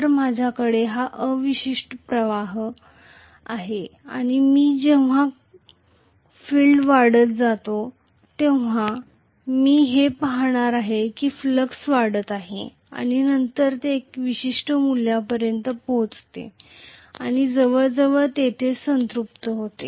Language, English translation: Marathi, So, I am going to have this residual flux and as I increase the field current I am going to see that the flux is increasing and then it reaches a particular value and almost saturates there that is it